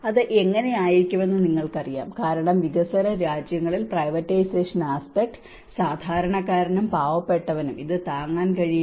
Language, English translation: Malayalam, You know how it can be because in a developing countries only with the privatization aspect whether the common man can afford, the poor man can afford these things